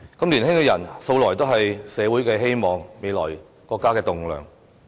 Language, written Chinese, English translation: Cantonese, 年輕人素來是社會的希望、國家未來的棟樑。, Young people are always the hope of society and the future pillars of our country